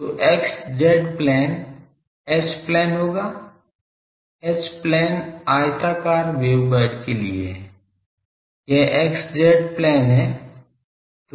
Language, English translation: Hindi, So, x z plane will be the H plane, H plane is for rectangular wave guide it is x z plane